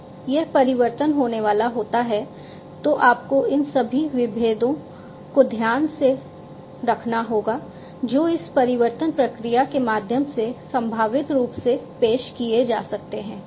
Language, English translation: Hindi, So, now, when this transformation is going to take place you have to take into account all these different points of vulnerability that can be potentially introduced through this transformation process